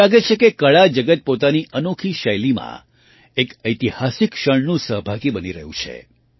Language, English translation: Gujarati, It seems that the art world is becoming a participant in this historic moment in its own unique style